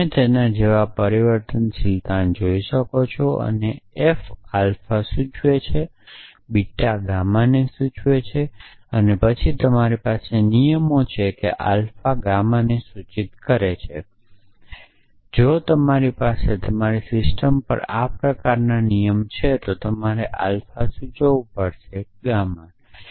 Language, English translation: Gujarati, So, you can see its like transivity and f alpha implies beta implies gamma, then you have rules says that alpha implies gamma if you have such a rule in your system then you have to showed alpha implies gamma or something like that